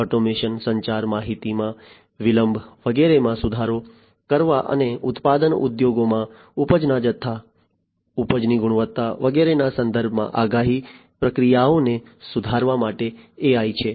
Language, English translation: Gujarati, AI for improving the automation, communication, delay of information etcetera and for improving the prediction processes in terms of quantity of yield, quality of yield etcetera in the manufacturing industries